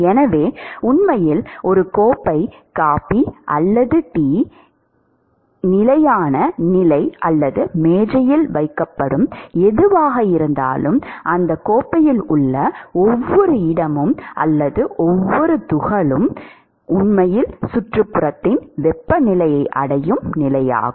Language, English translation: Tamil, So, really the steady state of a cup of coffee or chai or whatever is kept on the table is the state at which the every location or every particle in that cup, actually reaches the temperature of the surroundings